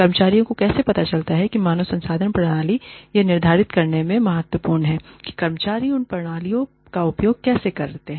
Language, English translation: Hindi, How employees perceive, the human resource systems, is critical in determining, how employees use these systems